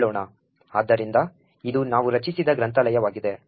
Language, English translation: Kannada, So, this is the library we create